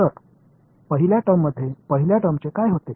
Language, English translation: Marathi, So, in the first term what happens to the first term